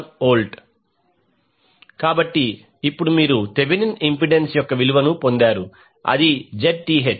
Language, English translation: Telugu, So now you have got the value of the Thevenin impedance that is the Zth